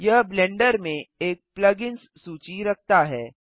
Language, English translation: Hindi, This contains a list plug ins in blender